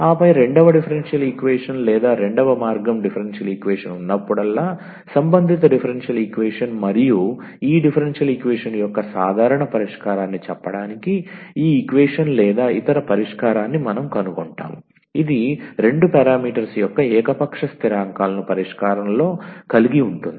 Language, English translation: Telugu, And then corresponding differential equation was second order differential equation or other way around whenever we have a second order differential equation and we find the solution of this equation or other to say the general solution of this differential equation it will have to arbitrary constants of two parameters in the solution